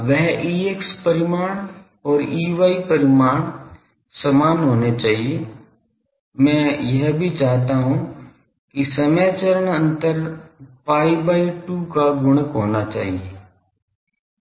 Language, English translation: Hindi, That E x magnitude and E y magnitude to be same also I want time phase difference is odd multiples of pi by 2